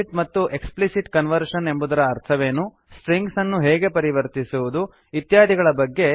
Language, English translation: Kannada, What is meant by implicit and explicit conversion and How to convert strings to numbers